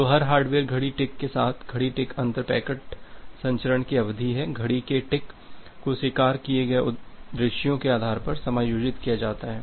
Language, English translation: Hindi, So, with every hardware clock tick so, the clock tick is the inter packet transmission duration the clock ticks is adjusted based on the sequences that is acknowledged